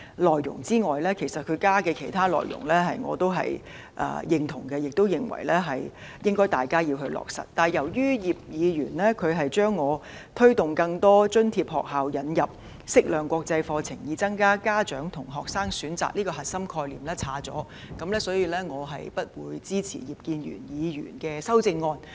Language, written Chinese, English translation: Cantonese, 至於他加入的其他內容我是認同及認為應該落實的，但由於葉議員刪去了我提出"推動更多津貼學校引入適量國際課程，以增加家長和學生的選擇；"這個核心概念，所以我不會支持他的修正案。, While I agree to the other contents that he proposed and consider that they should be implemented I cannot support Mr IPs amendment since he has deleted my core concept of incentivizing more subsidized schools to introduce a suitable proportion of international curriculum so as to give parents and students more choices